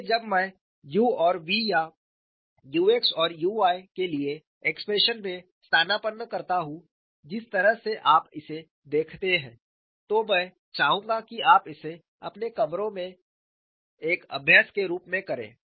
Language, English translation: Hindi, So, now, I know what is f of y and g of x; so when I substitute in the expression for u and v or u x and u y which ever way you look at it, I would like you to do that as an exercise in your rooms